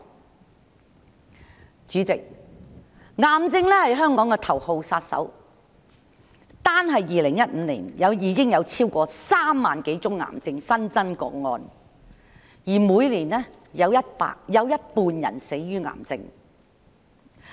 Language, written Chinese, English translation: Cantonese, 代理主席，癌症是香港頭號殺手，單是2015年已有超過3萬多宗癌症新增個案，而每年的死亡人數有一半是死於癌症。, Deputy President cancer is killer number one in Hong Kong . In 2015 alone more than 30 000 new cases of cancer emerged and the disease accounts for half of the deaths each year